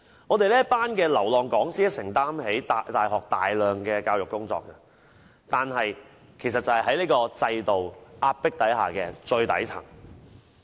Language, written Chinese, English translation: Cantonese, 我們這群流浪講師承擔起大學大量教育工作，但卻被這個制度壓迫在最底層。, We the wandering lecturers take up a large part of the teaching in universities but we are pressed to the very bottom by this system